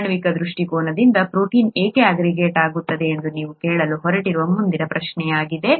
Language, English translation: Kannada, From a molecular point of view, why does a protein aggregate, that’s the next question that you’re going to ask